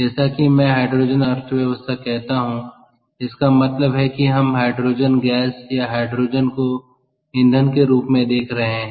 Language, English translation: Hindi, so, as i say, hydrogen economy means we are looking at hydrogen gas or hydrogen as an element, ah as a, as a fuel